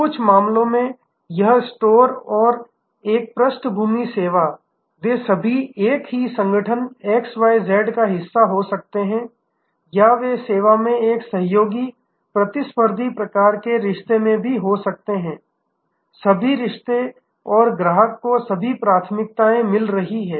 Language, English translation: Hindi, In some cases this store and that a background the service they can be all part of the same organization XYZ or they can actually be even in a collaborative competitive type of relationship do all relationship and the customer getting all the preferences